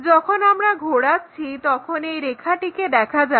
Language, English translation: Bengali, When we rotate this line will be visible